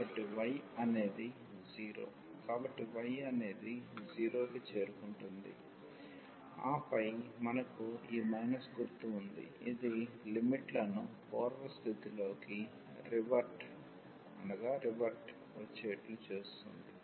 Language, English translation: Telugu, So, y will approach to 0 and then we have this minus sign so, which will revert the limits